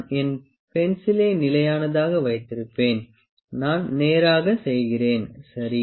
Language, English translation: Tamil, I will keep my pencil stationary I make it straight, ok